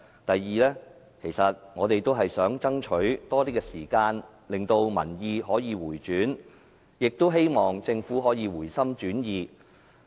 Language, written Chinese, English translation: Cantonese, 第二，其實我們也是想爭取多些時間，令民意可以回轉，亦希望政府可以回心轉意。, Secondly we want to buy more time so that public opinion will turn around and the Government will change its mind